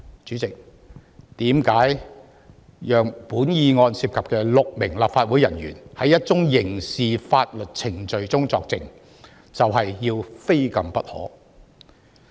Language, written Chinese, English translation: Cantonese, 為甚麼讓涉案的6名立法會人員在一宗刑事法律程序中作證，要非禁不可？, Why must the six Legislative Council officers involved in the case be prohibited from giving evidence in the criminal proceedings?